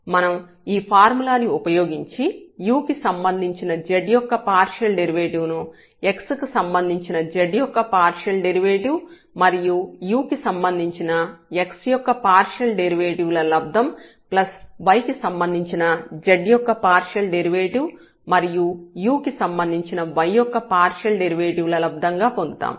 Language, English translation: Telugu, We can use this formula to get the partial derivative of this z with respect to u is equal to the partial derivative of z with respect to x and partial derivative of x with respect to u plus partial derivative of z with respect to y and partial derivative of y with respect to u again because we are differentiating partially z with respect to u